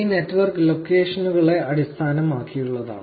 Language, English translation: Malayalam, This network is based on locations